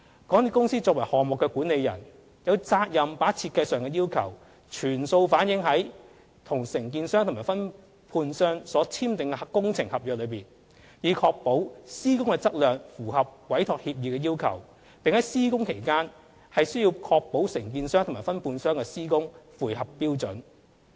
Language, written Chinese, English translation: Cantonese, 港鐵公司作為項目管理人，有責任把設計上的要求，全數反映在與承建商和分判商所簽訂的工程合約內，以確保施工的質量符合委託協議的要求，並須在施工期間確保承建商和分判商的施工符合標準。, MTRCL as the project manager shall ensure all the design requirements are reflected in the works contracts signed with the contractors and sub - contractors in order to ensure the quality of works comply with the requirements of the Entrustment Agreement and the works carried out by the contractors and subcontractors are in compliance with the standards during construction